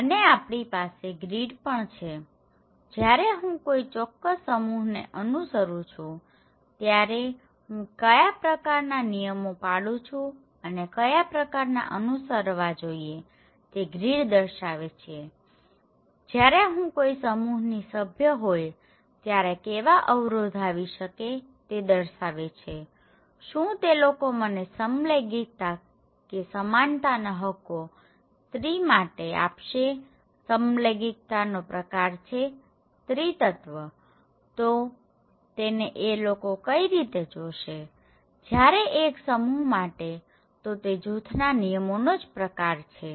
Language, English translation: Gujarati, Also, we have the grid okay, the grid represents that what kind of rules and regulations I should maintain, I should follow, when I am a member of a particular group, okay that what are the constraints like if I am a particular member of a particular group, will they allow me to have an orientation of homosexual or will they allow me to have equal rights for the women so, feminism, a kind of homosexuality how one see; one group see that is a kind of the rule of the group